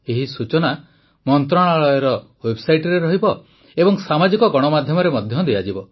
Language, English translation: Odia, This information will also be available on the website of the ministry, and will be circulated through social media